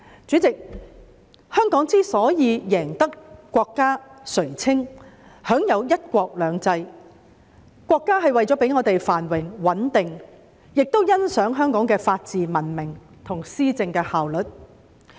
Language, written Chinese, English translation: Cantonese, 主席，香港之所以贏得國家垂青，享有"一國兩制"，國家是為了讓香港繁榮穩定，亦欣賞香港的法治文明及施政的效率。, President the reason why Hong Kong is favoured by our country and enjoys one country two systems is that our country wishes to maintain Hong Kongs prosperity and stability appreciates its rule of law and civilization and efficiency of governance